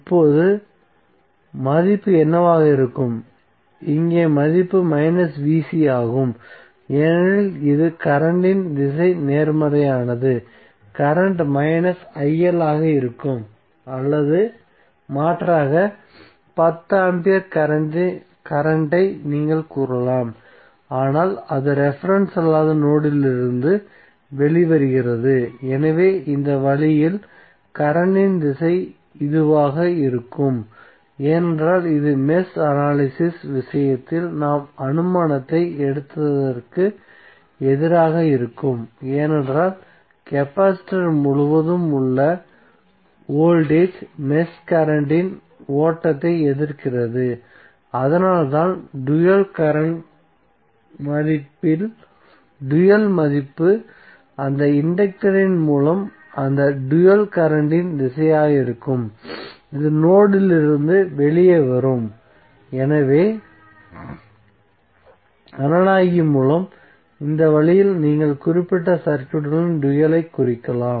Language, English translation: Tamil, Now what would be the value, here the value is minus VC because it is opposite to the direction of the current, so the current would be minus il or alternatively you can say current of 10 ampere but it is coming it is coming out of non reference node, so in this way the direction of the current would be this, because this would be against what we have taken the assumption in the case of mesh analysis because voltage across capacitor is opposing the flow of mesh current so that is why the dual value of the dual current value would be the direction of that dual current through that inductor would be coming out of the node, so this way by analogy also you can simply represent the dual of the particular circuit